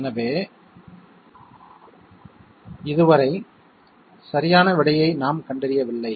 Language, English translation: Tamil, So, up till now we have not identified the correct answer